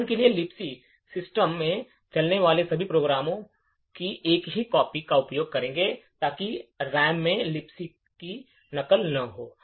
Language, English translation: Hindi, For example, Libc, all programs that are run in the system would use the same copy of Libc, so as not to duplicate Libc in the RAM